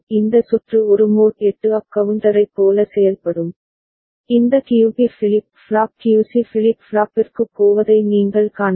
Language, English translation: Tamil, This circuit will behave like a mod 8 up counter, you can see this QB is going to the flip flop QC is going to the flip flop